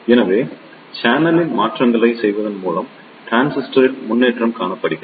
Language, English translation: Tamil, So, there is a improvement on transistor by making the changes in the channel